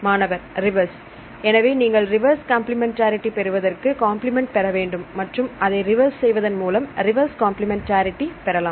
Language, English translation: Tamil, reverse So, you have to get the reverse complementary, you have to get the complement and a reverse it and then you will get the reverse complementarity right